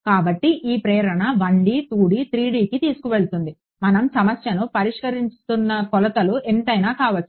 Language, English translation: Telugu, So, this is the motivation will carry to 1D 2D 3D whatever how many of a dimensions we are solving a problem